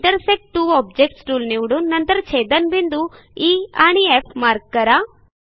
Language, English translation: Marathi, Click on the Intersect two objects tool Mark points of contact as E and F